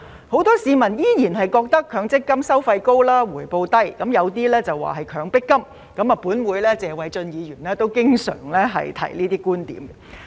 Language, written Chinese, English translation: Cantonese, 很多市民依然認為強積金"收費高、回報低"，有些更認為是"強迫金"，本會的謝偉俊議員也經常提出這些觀點。, Many people still describe MPF as low returns high fees . Some even call it Mandatory Payment Fund . Mr Paul TSE of this Council has often made these points